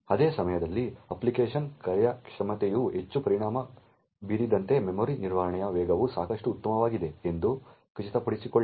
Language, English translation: Kannada, At the same time ensure that the speed of memory management is good enough so that the performance of the application is not affected too much